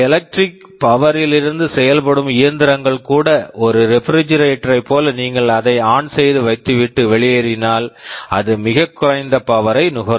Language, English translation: Tamil, Well even for machines which operate from electric power, like a refrigerator if you put it on and go away, it is expected that it will consume very low power